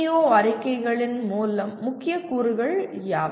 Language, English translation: Tamil, What are the key elements of PEO statements